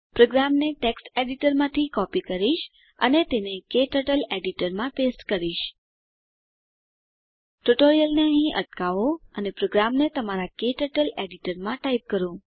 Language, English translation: Gujarati, I will copy the program from text editor and paste it into Kturtles Editor Pause the tutorial here and type the program into your KTurtle editor Resume the tutorial after typing the program